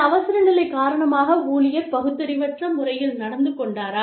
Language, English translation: Tamil, Maybe, because of some emergency, the employee behaved irrationally